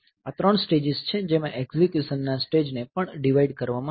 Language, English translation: Gujarati, So, these are the three stages into which this the execute stage is also divided